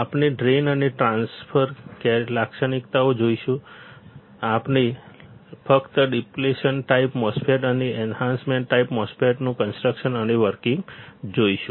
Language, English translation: Gujarati, We will see the drain and transfer characteristics, we will see the construction and working of just depletion type MOSFET and enhancement type